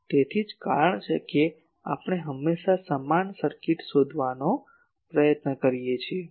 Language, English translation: Gujarati, So, that is the reason we always try to find the equivalent circuit